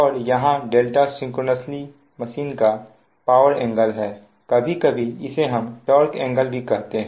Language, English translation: Hindi, and where delta is the power angle of the synchronous machine, sometimes we call torque angle, also right